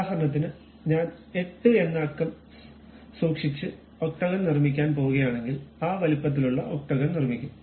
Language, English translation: Malayalam, For example, if I am going to construct octagon by keeping 8 number there, we will construct octagon of that size